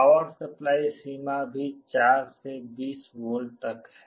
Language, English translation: Hindi, The power supply range is also from 4 to 20 volts